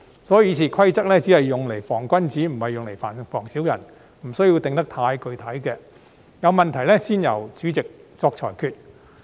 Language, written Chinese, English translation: Cantonese, 所以，《議事規則》只用來防君子，不是用來防小人，不需要訂得太具體，有問題才由主席作裁決。, Therefore RoP were meant to guard against only the gentlemen but not the villains . So they did not need to be too specific and the President would make a ruling in the event that a problem arose